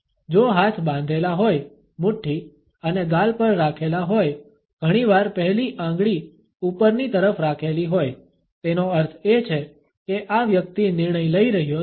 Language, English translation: Gujarati, If the hand is closed and is resting on the cheek, often with the index finger pointing upwards; that means, that this person is making a decision